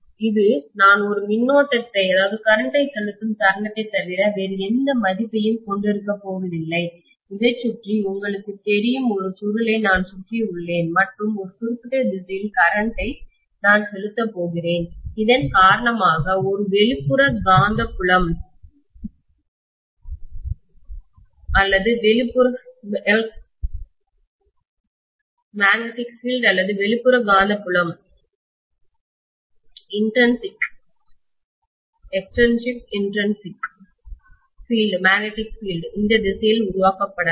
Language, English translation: Tamil, It is not going to have any value at all but the moment I pass a current, maybe I just wind you know a coil around this and I pass a current in a particular direction, because of which an extrinsic magnetic field or external magnetic field is going to be created, maybe along this direction